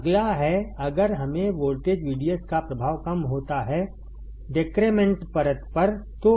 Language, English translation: Hindi, Next is if we find effect of voltage VDS, on depletion layer